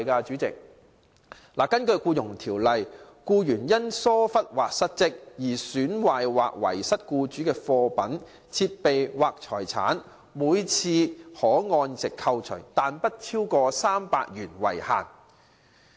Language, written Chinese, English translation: Cantonese, 主席，根據《僱傭條例》，僱員因疏忽或失職而損壞或遺失僱主的貨品、設備或財產，每次可按值扣除，但不超過300元為限。, President in accordance with the Employment Ordinance the equivalent value of the damage to or loss of goods equipment or property of the employer due to neglect or default by an employee can be deducted but not exceeding 300 in each case